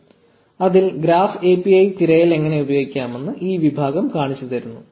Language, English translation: Malayalam, So, this section shows you how to use graph API search